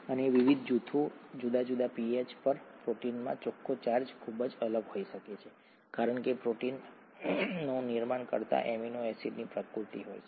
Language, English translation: Gujarati, And at various different pHs, the net charge in the protein could be very different because of the nature of the amino acids that make up the protein